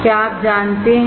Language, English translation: Hindi, Do you know